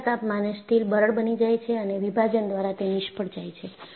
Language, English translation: Gujarati, At low temperature, steel is brittle and fails by clevage